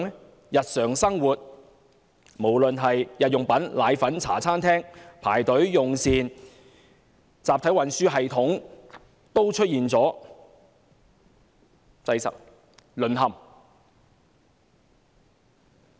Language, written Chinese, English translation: Cantonese, 在日常生活方面，無論是購買日用品、或奶粉，還是在茶餐廳用膳也要排隊，集體運輸系統出現擠塞、淪陷。, In terms of daily life residents have to queue up for the purchase of daily necessities and powdered formula as well as meals at local restaurants . The mass transit system came to a halt due to congestion